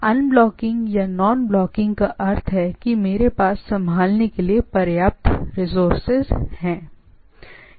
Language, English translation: Hindi, Unblocking or nonblocking means I have enough resources to handle, that we’ll look at this